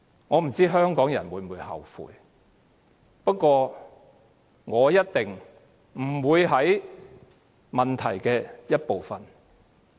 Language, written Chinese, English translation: Cantonese, 我不知道香港人會否後悔，不過，我一定不會是造成問題的一部分。, I do not know if Hongkongers will regret it but definitely I can be spared the blame for this problem